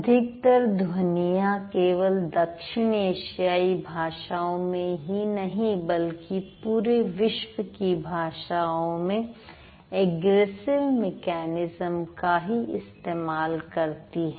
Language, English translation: Hindi, So, majority of our sounds, not only in the South Asian languages, but also in the world's languages, we do follow egressive mechanism